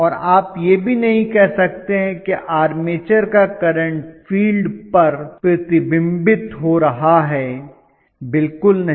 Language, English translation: Hindi, And you cannot even say, the current carried by the armature is going to get reflected on to the field not at all not at all